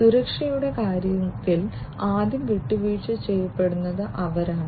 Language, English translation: Malayalam, They are the first to be compromised in terms of security